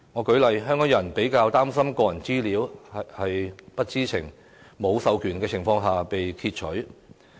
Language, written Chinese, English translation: Cantonese, 舉例而言，香港人較為擔心個人資料會否在不知情、無授權的情況下被擷取。, For example Hong Kong people are relatively concerned about their personal data being retrieved without their knowledge in an unauthorized manner